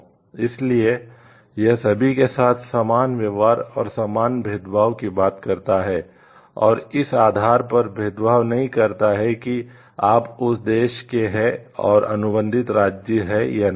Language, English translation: Hindi, So, it talks of like equal treatment to everyone and not discriminating based on whether you belong to that country and contracting state or not